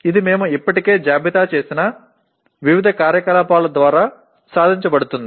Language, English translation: Telugu, It is attained through various activities that we have already listed